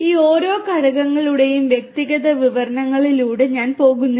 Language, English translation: Malayalam, And the I am not going through the individual descriptions of each of these components